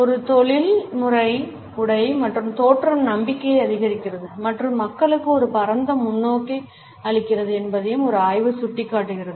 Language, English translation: Tamil, A study also indicate that a professional dress and appearance increases confidence and imparts a broader perspective to people